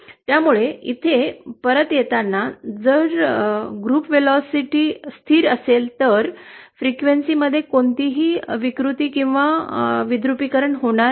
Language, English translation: Marathi, So coming back to our curve here, if the group velocity is constant, then there will be no distortion or dispersion between frequencies